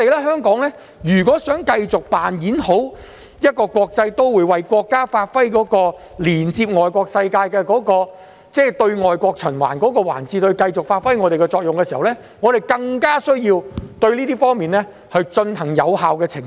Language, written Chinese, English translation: Cantonese, 香港如果想繼續扮演好國際都會的角色，為國家發揮連接外國世界、在對外國循環的環節中繼續發揮我們的作用，我們便更有需要對這方面進行有效澄清。, If Hong Kong is to keep on playing its role as an international metropolis and as a linkage between the world and China and its function in the circulation loop with overseas connections it is necessary for us to make some effective clarifications